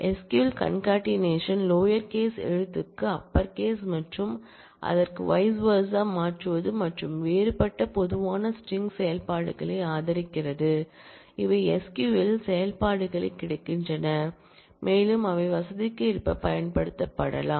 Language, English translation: Tamil, SQL supports concatenation, conversion of lower to upper case and vice versa and different other common string operations, those are available as functions in SQL and can be used for convenience